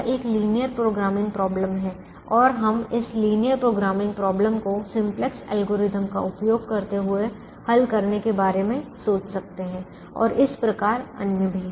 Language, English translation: Hindi, it is a linear programming problem and we could think of solving this problem as a linear programming problem using the simplex algorithm and so on